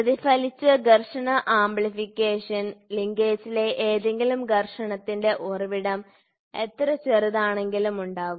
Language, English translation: Malayalam, The reflected frictional amplification any source of friction in the linkage; however, small